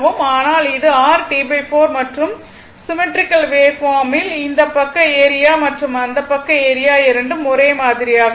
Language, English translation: Tamil, But, this is your T by 4 and in that case for symmetrical waveform because this side area and this side area is same